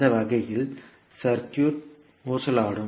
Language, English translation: Tamil, In that case the circuit will become oscillatory